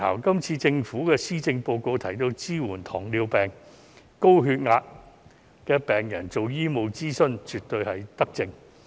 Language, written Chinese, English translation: Cantonese, 今次政府在施政報告提到要支援糖尿病或高血壓病人進行醫務諮詢，這絕對是一項德政。, In the Policy Address the Governments proposal to provide subsidized medical consultation services to patients diagnosed with diabetes or hypertension is indeed a good initiative